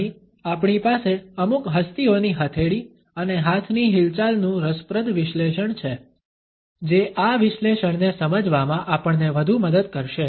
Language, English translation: Gujarati, Here we have an interesting analysis of the palm and hand movements of certain celebrities which would further help us to understand this analysis